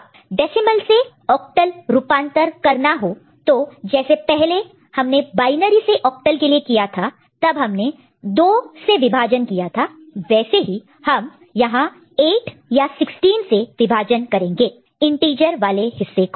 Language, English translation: Hindi, And decimal to octal earlier you have done for binary, it was division by 2 for the integer part, it will be division by 8 or 16 for the integer part